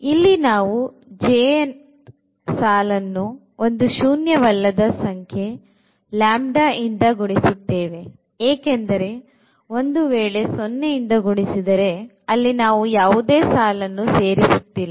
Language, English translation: Kannada, So, what we can do that we will multiply the j th row by a number lambda again non zero number lambda because if lambda is 0, then we are not adding anything to this R i